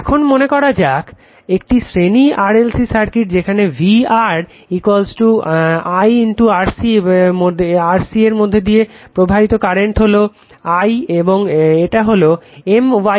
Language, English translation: Bengali, Now, suppose this is series RLC circuit say VR is equal to VR is equal to I into R current going through this is I right and this is my l